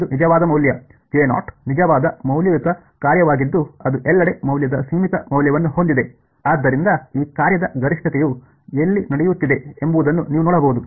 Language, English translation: Kannada, It is a real value; J 0 is the real valued function it has a value finite value everywhere, so you can see the maxima of this function is happening where